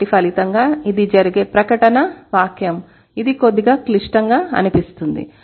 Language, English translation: Telugu, So, as a result, this is the statement that happens which sounds to be a little complicated